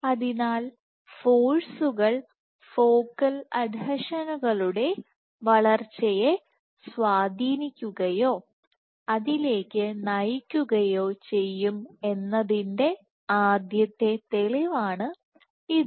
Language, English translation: Malayalam, So, this was the first proof that forces influence or lead to growth of focal adhesions